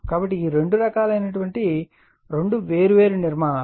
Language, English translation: Telugu, So, these are the two type differenttwo different type of construction